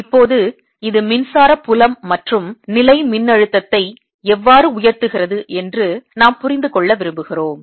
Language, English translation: Tamil, now we want to understand how does this give rise to electric field and electrostatic potential